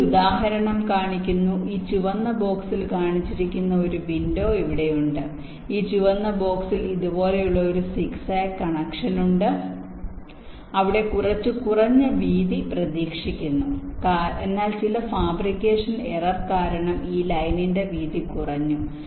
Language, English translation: Malayalam, this red box has a something like this say: ah, zigzag kind of a connection where some minimum width is expected, but due to some fabrication error, the width of this line has been reduced